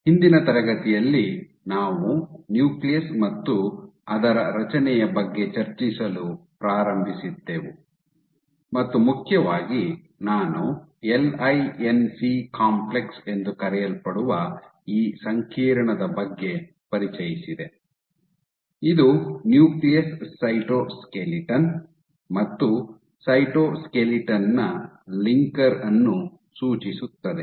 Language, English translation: Kannada, So, in the last class we had started discussing about the nucleus and its structure and majorly I introduced, this complex called LINC complex which stands for linker of nucleus skeleton and cytoskeleton ok